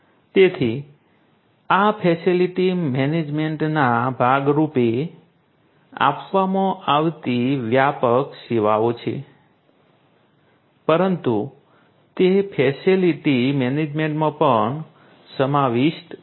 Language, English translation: Gujarati, So, these are the broader you know services offered as part of you know facility management, but these are also inclusive in facility management